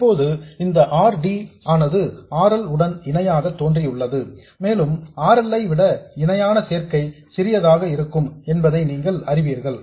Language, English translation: Tamil, Now this RD has appeared in parallel with RL and you know that the parallel combination is going to be smaller than RL